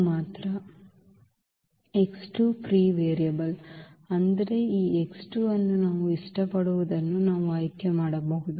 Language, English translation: Kannada, So, x 2 is free variable free variable; that means, we can choose this x 2 whatever we like